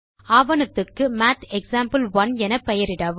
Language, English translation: Tamil, Name the document as MathExample1